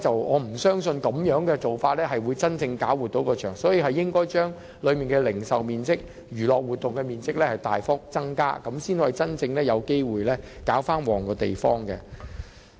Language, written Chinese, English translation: Cantonese, 我不相信現時的做法能夠真正作出改善，只有將當中的零售面積和娛樂活動面積大幅增加，才能真正有機會令場地興旺起來。, I do not think that the current practices can really make improvement . Only when the retail and recreational areas are substantially enlarged can the place really stand a chance of thriving